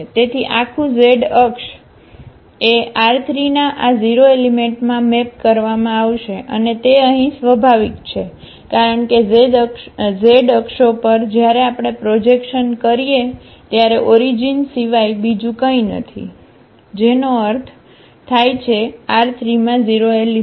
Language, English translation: Gujarati, So, the whole z axis will be mapped to this 0 element in R 3 and that is natural here because the z axis when we take the projection of the z axis is nothing but the origin that is means a 0 element in R 3